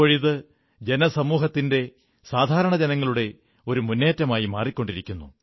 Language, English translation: Malayalam, It is getting transformed into a movement by the society and the people